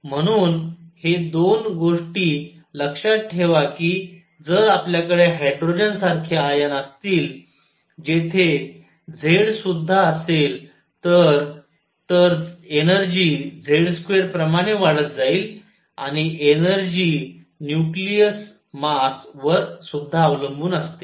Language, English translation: Marathi, So, so keep this in mind that 2 things if we have hydrogen like ions where Z is higher energy goes up as Z square and energy also depends on the nucleus mass